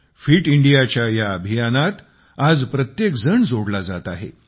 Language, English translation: Marathi, Everybody is now getting connected with this Fit India Campaign